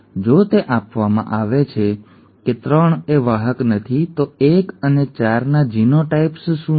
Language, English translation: Gujarati, If 3 is not a carrier, if this is given, what are the genotypes of 1 and 4